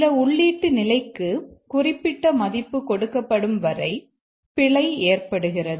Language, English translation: Tamil, The bug expresses itself when as long as some input condition is given a value, certain value